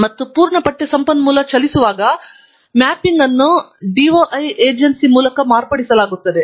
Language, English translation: Kannada, And, whenever the full text resource moves, the mapping will be modified by the agency – DOI agency